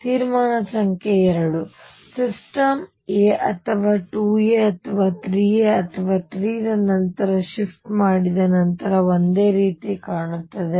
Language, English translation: Kannada, Conclusion number 2, the system looks identical after shift by a or 2 a or 3 a or so on